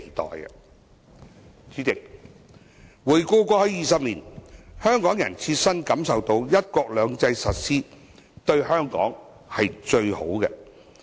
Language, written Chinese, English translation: Cantonese, 代理主席，回顧過去20年，香港人切身感受到"一國兩制"的實施對香港是最有利的。, Deputy President over the past 20 years Hong Kong people have personally experienced that the implementation of one country two systems is most beneficial to Hong Kong